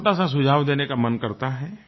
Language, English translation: Hindi, I want to give a small suggestion